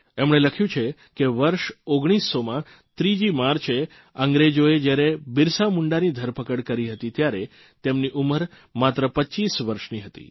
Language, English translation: Gujarati, He has written that on the 3rd of March, 1900, the British arrested BirsaMunda, when he was just 25 years old